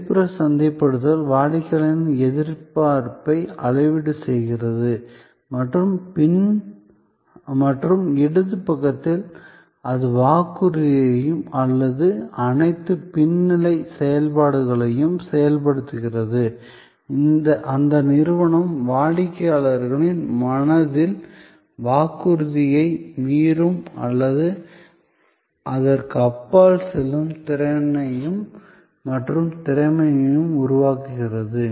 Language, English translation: Tamil, So, the external marketing is making the promise are calibrating the customer expectation and on the left hand side it is enabling the promise or all the back stage activities, that creates the capability and competence for the organization to meet or go beyond the promise in the customers mind